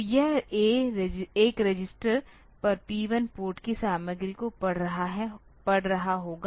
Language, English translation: Hindi, So, this will be reading the content of P 1 Port on to a register